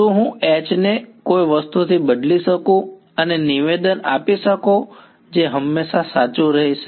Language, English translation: Gujarati, Can I replace H by something and make a statement that will always be true